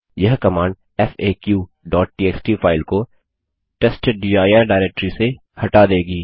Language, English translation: Hindi, This command will remove the file faq.txt from the /testdir directory